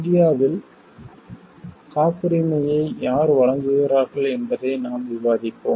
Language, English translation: Tamil, We will discuss who provides patents in India